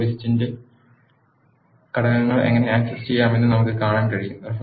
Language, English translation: Malayalam, Now, we can see how to access the components of the list